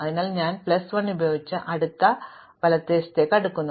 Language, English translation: Malayalam, So, I start with yellow plus 1 and sort until r